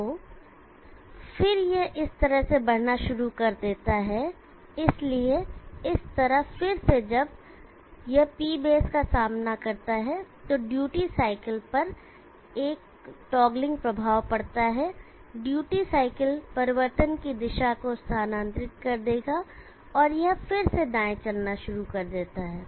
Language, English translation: Hindi, So then it starts moving like this, so in this way again when it encounters this P base there is a toggling effect on the duty cycle, duty cycle will shift the direction of change and it starts moving again